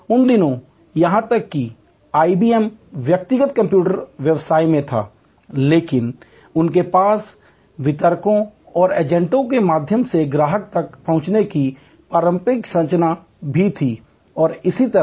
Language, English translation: Hindi, In those days, even IBM was in personal computer business, but they also had the traditional structure of reaching the customer through distributors and agents and so on